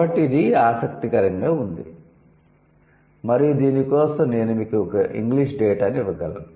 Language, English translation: Telugu, So, this is interesting and we can give you English data for this